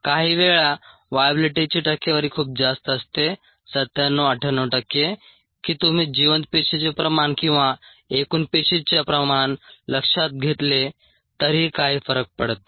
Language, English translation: Marathi, sometimes the viability percentages are very high ninety, seven, ninety, eight percent that it doesn't really make a difference whether you follow viable cell concentration or total cell concentration ah